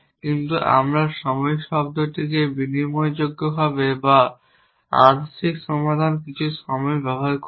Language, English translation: Bengali, But we will use the time term interchangeably or a partial solution some time we say